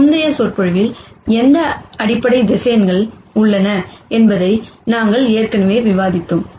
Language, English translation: Tamil, We have already discussed what basis vectors are in a previous lecture